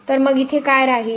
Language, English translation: Marathi, So, what will remain here